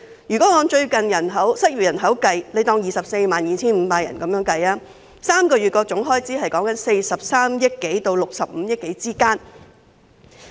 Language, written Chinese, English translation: Cantonese, 如果按最近失業人口計算，假設是 245,000 人 ，3 個月的總開支是43億多元至65億多元。, If we calculate on the basis of the recent unemployed population which is assumed to be 245 000 the total expenditure for three months will be some 4.3 billion to 6.5 billion . The first round of ESS has already cost 40.5 billion